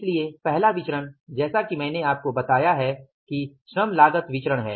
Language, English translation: Hindi, So, first variances as I told you is the labor cost variance